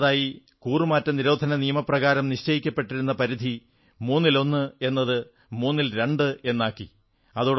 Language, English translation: Malayalam, And the second one is that the limit under the Anti Defection Law was enhanced from onethirds to twothirds